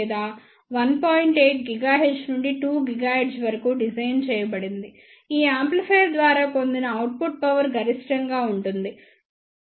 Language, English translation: Telugu, 8 gigahertz to 2 gigahertz, the output power achieved by this amplifier is maximum that is 33